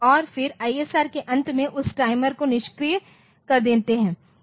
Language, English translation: Hindi, And then either this ISR in the end of the ISR we disable that timer we disable the timer at the end